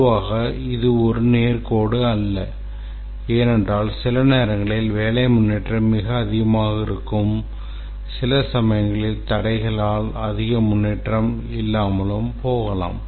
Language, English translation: Tamil, Typically not a straight line because sometimes the work progresses very fast, sometimes there are obstacles, not much progress is done over some days and so on